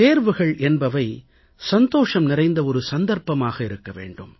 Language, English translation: Tamil, Exams in themselves, should be a joyous occasion